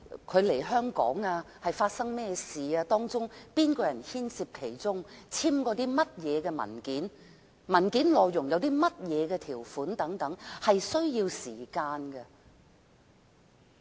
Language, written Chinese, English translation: Cantonese, 外傭來港後發生了甚麼事情、有甚麼人牽涉其中、曾簽署甚麼文件、文件內容有甚麼條款等，是需要時間調查的。, There are a lot of issues to investigate say what has happened after the foreign domestic helpers arrival in Hong Kong who are involved what kind of documents have the foreign domestic helper signed what is the content of the documents involved and so on . It all takes time